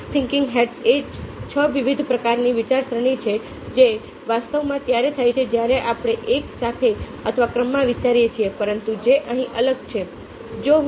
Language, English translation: Gujarati, six thinking hads is about six different kinds of thinking which actually take place when we are thinking simultaneously or in sequence, but where which are isolated